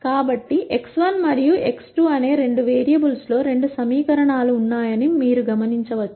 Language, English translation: Telugu, So, you can notice that there are two equations in two variables x 1 and x 2